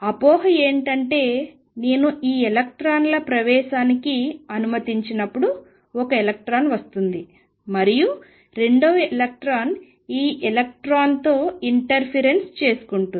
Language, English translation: Telugu, The misconception is that when I let these electrons go through one electron comes and the second electron interferes with this electron and then they interfere and go somewhere that is a misconception